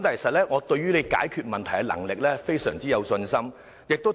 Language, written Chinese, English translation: Cantonese, 不過，我對於你解決問題的能力非常有信心。, But I have full confidence in your problem - solving ability